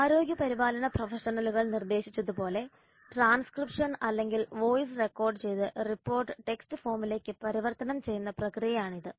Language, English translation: Malayalam, It is a process of transcription or converting voice recorded report into text form as dictated by healthcare professionals